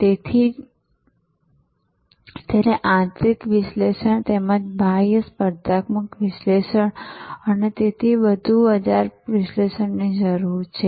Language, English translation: Gujarati, So, therefore it needs internal analysis as well as external competitive analysis and so on, market analysis